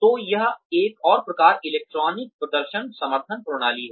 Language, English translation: Hindi, So, that is the another type of, electronic performance support system